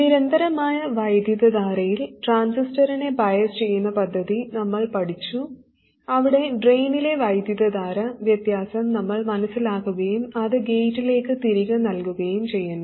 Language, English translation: Malayalam, We have studied the scheme of biasing the transistor at a constant current where we sense the current difference at the drain and feed it back to the gate